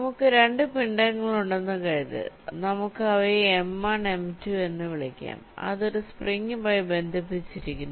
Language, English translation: Malayalam, so let see, suppose we have two masses, lets call them m one and m two, that are connected by a spring